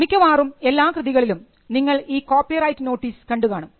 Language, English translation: Malayalam, You would see your copyright notice on most works